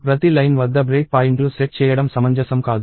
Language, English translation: Telugu, It does not make sense to set break points at every line